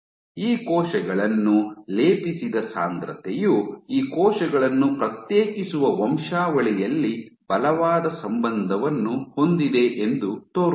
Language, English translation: Kannada, The density at which these cells are plated seems to have a strong correlation in the lineage to be which these cells differentiate